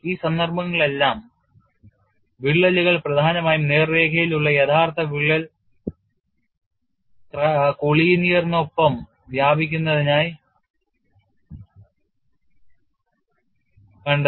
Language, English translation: Malayalam, In all these cases, the cracks were found to extend along an essentially straight line collinear with the original crack